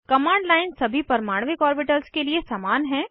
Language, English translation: Hindi, The command line is same for all atomic orbitals